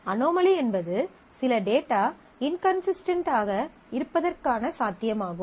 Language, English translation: Tamil, An anomaly is the possibility of certain data getting inconsistent